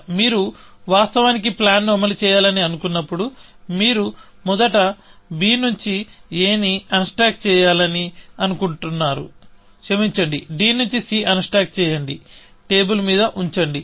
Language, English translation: Telugu, Even, when you want to actually, implement the plan, you want to first, unstack a from b, sorry, unstack c from d; put it down on the table